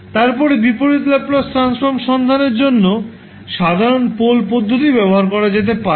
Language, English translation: Bengali, Then you can use the simple pole approach to find out the Inverse Laplace Transform